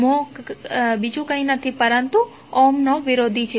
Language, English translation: Gujarati, Mho is nothing but the opposite of Ohm